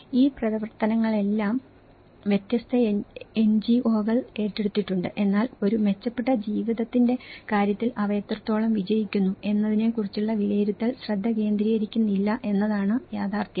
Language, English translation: Malayalam, So, these all activities have been taken up by different NGOs but the reality is the assessments does not focus on how far they are successful in terms of a better lives